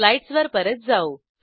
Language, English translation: Marathi, Switch back to slides